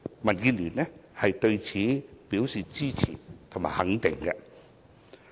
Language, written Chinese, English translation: Cantonese, 民建聯對此表示支持和肯定。, DAB supports and endorses this initiative